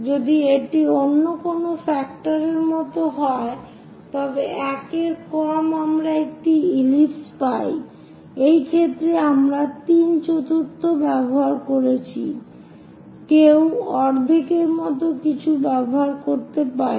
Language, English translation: Bengali, If it is something like another factor any e less than 1 we get an ellipse, in this case, we have used three fourth; one can also use something like half